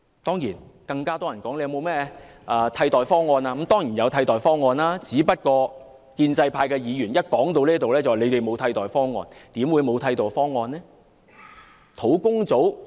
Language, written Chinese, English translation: Cantonese, 當然，很多人會問我們是否有替代方案，我們當然有替代方案，只是建制派議員一談到這部分，便指我們沒有替代方案。, Certainly many people will ask whether we can put forth an alternative plan . We definitely have an alternative plan . Yet whenever we come to this discussion Members from the pro - establishment camp will criticize us of failing to offer an alternative plan